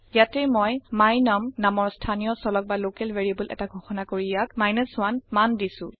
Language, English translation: Assamese, Here also, I have declare a local variable my num and assign the value 1 to it